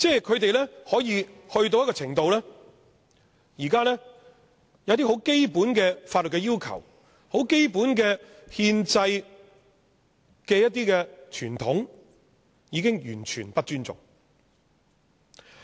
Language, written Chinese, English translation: Cantonese, 他們行事可以去到一個程度，便是現在有些很基本的法律要求、很基本的憲制傳統，它已經完全不尊重。, They have gone so far that they are showing complete disrespect to certain fundamental statutory requirements and constitutional conventions now in place